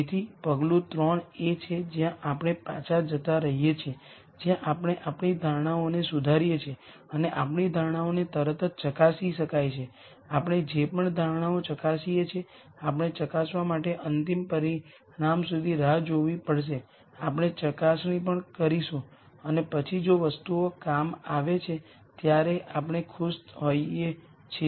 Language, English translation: Gujarati, So, the step 3 is where we keep going back where we keep re ning our assumptions and what our assumptions can be veri ed right away; we verify whatever assumptions, we have to wait till the final result to verify, we verify, and then if things work out we are happy otherwise we keep this assumption validation cycle till we solve the problem to our satisfaction